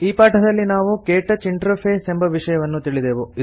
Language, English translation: Kannada, In this tutorial we learnt about the KTouch interface